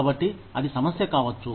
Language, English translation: Telugu, So, that could be a problem